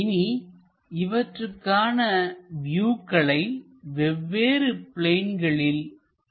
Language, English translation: Tamil, Now project these views onto different planes